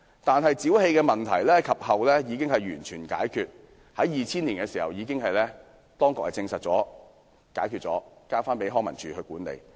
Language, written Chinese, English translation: Cantonese, 但是，沼氣問題後來已獲解決，當局亦已在2000年證實沒有問題，並將公園交還康樂及文化事務署管理。, However as it was claimed that biogas was found the park had not been opened . The biogas problem was later resolved and the authorities confirmed in 2000 that the place was fine and the park was handed over to the Leisure and Cultural Services Department for management